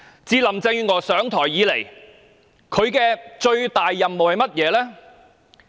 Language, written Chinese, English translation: Cantonese, 自林鄭月娥上台後，她的最大任務是甚麼呢？, What is the most important mission of Carrie LAM since she has taken office?